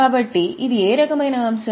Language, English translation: Telugu, So, it is what type of item